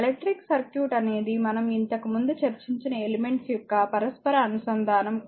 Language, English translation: Telugu, So, an electric circuit is simply an interconnection of the elements earlier we have discussed above this right